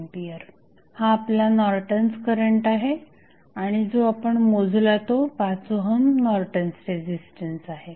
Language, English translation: Marathi, So, now, this 7 ampere is your Norton's current and 5 ohm is the Norton's resistance which you calculated